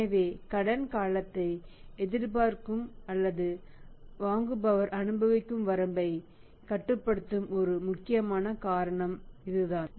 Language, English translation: Tamil, So, this is the one important reason which is limiting the credit period to be expected or to be enjoyed by the buyer